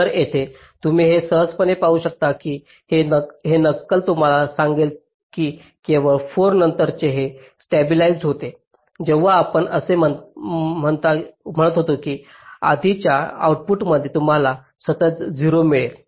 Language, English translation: Marathi, ok, so here you can easily see, this simulation will tell you that only after four it is getting stabilized, unlike the earlier case where you are saying that in output you are getting a constant zero